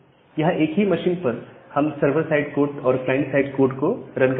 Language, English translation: Hindi, Here in the same machine we are running the server side code and a client side code